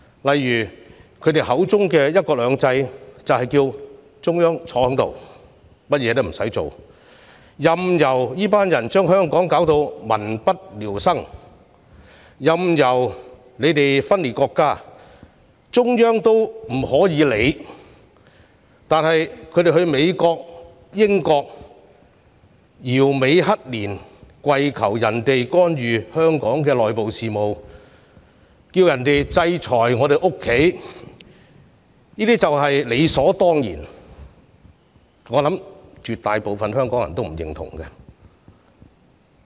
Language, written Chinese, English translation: Cantonese, 例如他們口中的"一國兩制"就是中央不理會香港，任由他們將香港弄得民不聊生，任由他們分裂國家，中央也不作任何理會，而他們到英國、美國搖尾乞憐，跪求別國干預香港的內部事務、制裁香港，卻是理所當然，我相信絕大部分香港人也不會認同。, For example their version of one country two systems is that the Central Government will wash its hand of Hong Kong allowing them to plunge Hong Kong into misery allowing them to tear the country apart and even allowing them to travel to the United Kingdom and the United States begging foreign countries to intervene in Hong Kongs internal affairs and impose sanction on the city . I believe the vast majority of Hong Kong people would not agree with this